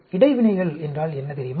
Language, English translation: Tamil, You know what is interactions